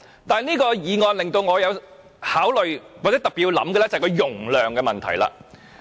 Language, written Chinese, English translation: Cantonese, 但此項議案令我特別仔細考慮的是容量的問題。, The only thing in this suggestion that I need to consider carefully is the issue of capacity